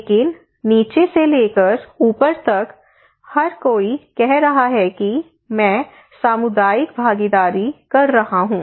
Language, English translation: Hindi, But starting from the bottom to the top bottom to the top, everybody is saying that I am doing community participations